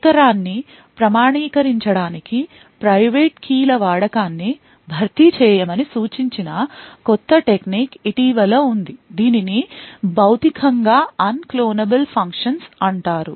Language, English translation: Telugu, Quite recently there has been a new technique which was suggested to replace the use of private keys as a mean to authenticate device, So, this is known as Physically Unclonable Functions